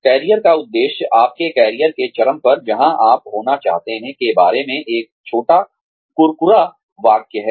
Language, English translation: Hindi, Career objective is, one short crisp sentence about, where you want to be, at the peak of your career